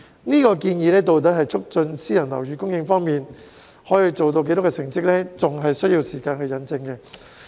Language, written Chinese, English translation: Cantonese, 這項建議在促進私人樓宇供應方面可以做到多少，成績仍有待時間引證。, While the extent to which the proposal can boost private housing supply is still subject to the test of time the setting up of the Office should be a good attempt